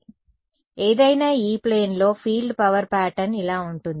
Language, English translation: Telugu, So, in any E plane this is what the field power pattern looks like